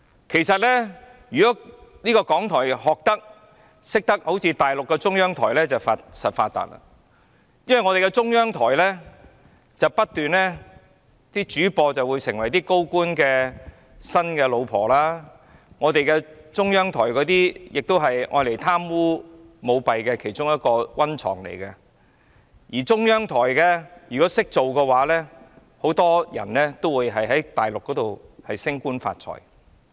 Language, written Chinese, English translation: Cantonese, 其實，如果港台懂得學習大陸的中央台便必定"發達"，因為中央台的主播會成為高官的新任妻子，中央台也是用來貪污及舞弊的其中一個溫床，而中央台的人員如果"識做"，很多人都會在大陸升官發財。, In fact had RTHK followed the practices of CCTV on the Mainland surely it would have made lucrative gains as the news anchors of CCTV will become new wives of senior officials and CCTV is also a breeding ground of corruption and bribery and if the personnel of CCTV can trim the sail to the wind many of them will get promoted and make a fortune in the Mainland